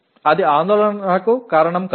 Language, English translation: Telugu, That need not be reason for worry